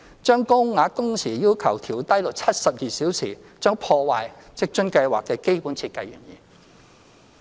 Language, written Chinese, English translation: Cantonese, 將高額工時要求調低至72小時，將破壞職津計劃的基本設計原意。, Lowering the working hour requirement for the Higher Allowance to 72 hours will defeat the original purpose of the WFA Scheme